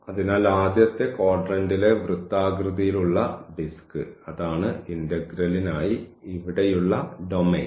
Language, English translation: Malayalam, So, that is the circular disk in the first quadrant and where we have this domain for the integral